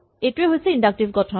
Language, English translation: Assamese, What is the inductive structure